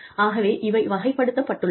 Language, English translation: Tamil, So, these are classified